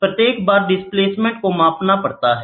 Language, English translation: Hindi, The displacement each time has to be measured